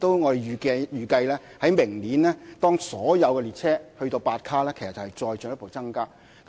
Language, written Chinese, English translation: Cantonese, 我們亦預計，明年所有列車悉數增至8卡後，載客量其實會再進一步增加。, We also expect that when all trains are upgraded to eight cars next year the carrying capacity will further increase . That said the rate of increase will depend on some supporting measures